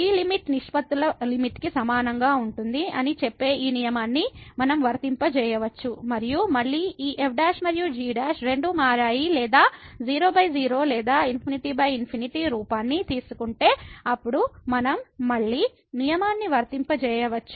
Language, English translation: Telugu, We can apply this rule which says that this limit will be equal to the limit of the ratios and if again this prime and prime they both becomes or takes the form by or infinity by infinity then we can again apply the rule